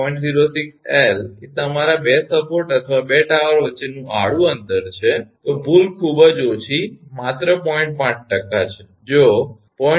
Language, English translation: Gujarati, 06 L is the your distance between the your 2 support or 2 tower horizontal distance, then error is very small just 0